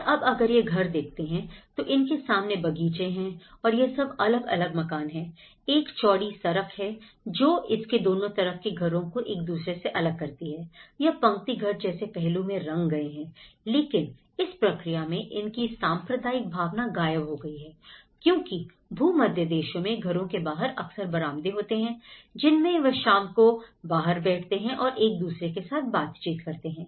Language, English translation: Hindi, And much of the housing, if you can see that they have these front gardens and they have these detached housing and the whole street, it was a vast street layouts that separates from the neighborhood you know, they are all like a row house aspect but that communal interaction gets missing in this process because that the Mediterranean countries they have this veranda concepts and the evenings sit outside, they chit chat with each other